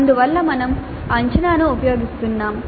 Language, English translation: Telugu, So we are using the assessment